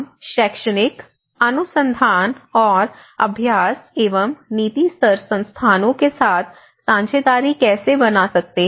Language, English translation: Hindi, How we can build partnerships with an academic institutions, research institutions, and the practice and policy level institutions